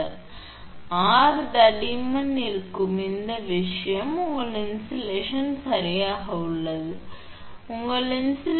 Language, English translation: Tamil, So, R will be thickness this thing is your insulation is there right, your thickness of insulation is